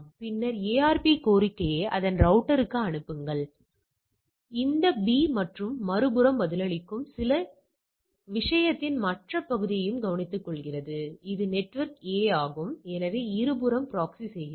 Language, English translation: Tamil, So, A things on the thing and then send the ARP request to that router and which in turns replies back on this B and on the other hand, it also takes care of the other part of the thing; that is the network A, so it proxies on the both the side